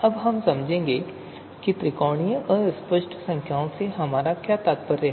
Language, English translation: Hindi, So we will understand what we mean by triangular fuzzy numbers